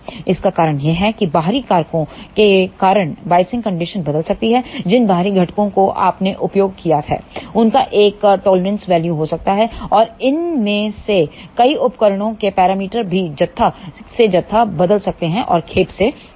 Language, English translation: Hindi, The reason for that is because of external factors the biasing condition may change, the external components which you have used that they may have a tolerance value and also many of these devices parameter also may change from batch to batch and lot to lot